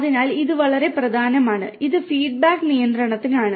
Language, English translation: Malayalam, So, this is very important, this is for feedback control